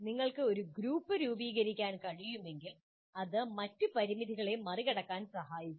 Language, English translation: Malayalam, If you can form a group that will greatly help overcome many of the other limitations